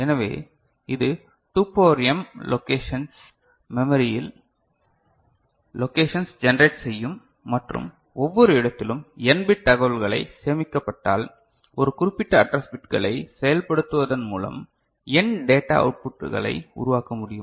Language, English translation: Tamil, So, this will generate 2 to the power m locations memory locations right and in each location if n bit information is stored so, n data outputs can be generated by invoking a particular set of address bits ok